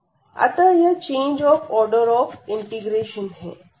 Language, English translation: Hindi, So, that is the change of order of integration